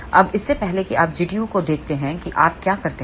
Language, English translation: Hindi, Now, before again you look at G tu what do you do